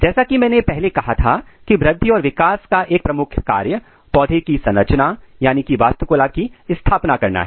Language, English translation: Hindi, As I said previously that the one of the major function of growth and development is to establish architecture